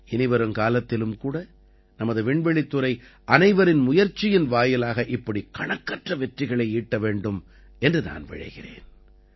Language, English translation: Tamil, I wish that in future too our space sector will achieve innumerable successes like this with collective efforts